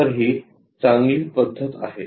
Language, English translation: Marathi, So, this method is good